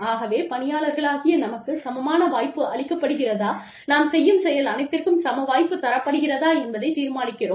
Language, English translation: Tamil, So, that is how, we as employees decide, whether we are being given an equal opportunity, not unequal, but, an equal opportunity to do, whatever we can do